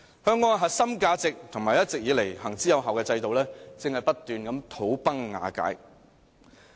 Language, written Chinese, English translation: Cantonese, 香港的核心價值和一直以來行之有效的制度，正在不斷土崩瓦解。, The core values and time - tested systems of Hong Kong are all disintegrating incessantly